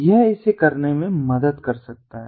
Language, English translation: Hindi, this can help to help in doing it